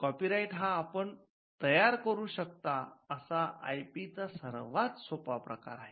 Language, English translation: Marathi, So, that makes copyright one of the easiest intellectual property rights to create and to own